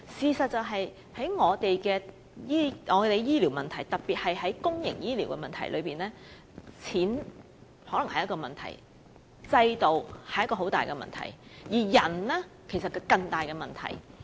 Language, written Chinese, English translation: Cantonese, 其實更重要的事實是在我們的醫療方面，特別是在公營醫療方面，錢可能是問題，制度亦是一大問題，而人手則是更大的問題。, More important however is the fact that in respect of health care in general and public health care in particular money and the system may pose a problem but not as big as that of manpower